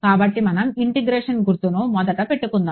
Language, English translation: Telugu, So, let us put the integration sign first ok